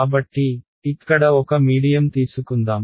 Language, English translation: Telugu, So, let us take a medium over here